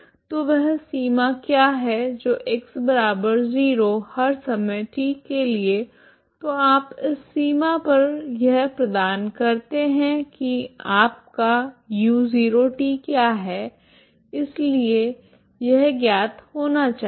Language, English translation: Hindi, So what is that boundary is at X equal to zero for all times T so on this boundary you provide what is your U at X 0 T so this should be known